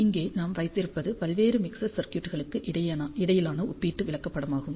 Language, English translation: Tamil, So, what we have here is a comparison chart between various mixer circuits